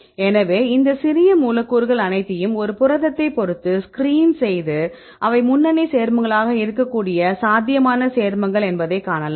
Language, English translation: Tamil, So, we can screen all these small molecules with respect to a protein, and then we can see these are the probable compounds right which could be a lead compounds right